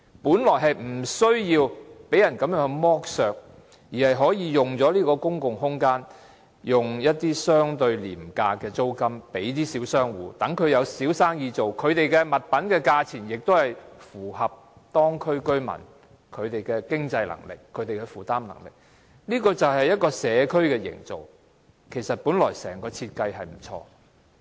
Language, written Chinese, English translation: Cantonese, 本來我們無須被人剝削，而是可以以相對廉價的租金將這些公共空間租給小商戶，讓他們做小生意，而所出售的物品的價錢亦符合當區居民的經濟能力和負擔能力，這便是一個社區的營造，本來整個設計是很不錯的。, We could have spared ourselves such exploitation and we could have rented out these public spaces to small business operators at comparatively inexpensive rental for them to carry on small businesses and sell goods at prices within the means and affordability of the local residents . This is how a community can be forged and the whole design was quite good originally